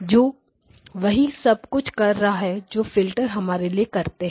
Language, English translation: Hindi, Which is doing the same thing that what those filters are doing there for us